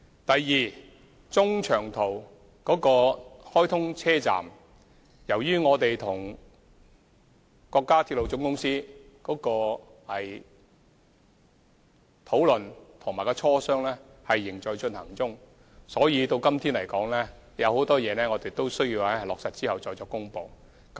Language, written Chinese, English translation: Cantonese, 第二，關於中長途直達站，由於我們跟中國鐵路總公司的討論和磋商仍在進行中，所以今天仍有很多事宜須在落實後才可作公布。, Secondly with regard to destinations for long - haul and direct train services a number of issues are yet to be finalized and announced since our discussions and negotiations with the China Railway Corporation are still underway